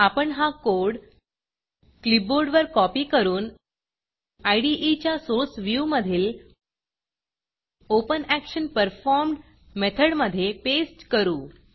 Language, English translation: Marathi, I will copy this code onto my clipboard, and in the Source view of the IDE, paste it inside the OpenActionPerformed method